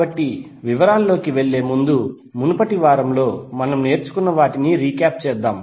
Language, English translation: Telugu, So before going into the details let us try to understand what we learn in the previous week